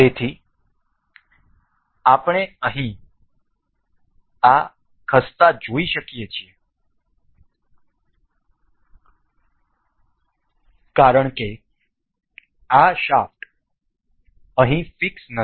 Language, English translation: Gujarati, So, here we have we can see this moving because this shaft here is not fixed